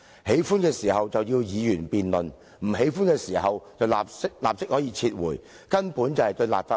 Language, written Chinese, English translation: Cantonese, 喜歡的時候，要議員辯論；不喜歡的時候，便立即撤回，根本不尊重立法會。, If the Government wants Members to discuss a bill it will ask us to do so; otherwise it will immediately withdraw the bill . It simply shows no respect for the Legislative Council